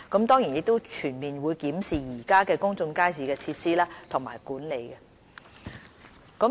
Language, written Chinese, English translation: Cantonese, 當然，我們也會全面檢視現有公眾街市的設施和管理。, Moreover we will certainly conduct a comprehensive review of existing public markets for the facilities and their management